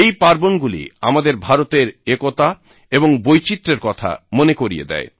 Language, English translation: Bengali, These festivals remind us of India's unity as well as its diversity